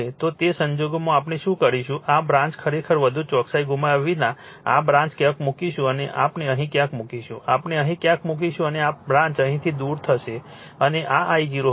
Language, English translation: Gujarati, So, in that case what we will do what we will do this branch actually without yourloosing much accuracy this branch will put somewhere here we will put somewhere here, right we will put somewhere here and this branch will remove from here and this will be my I 0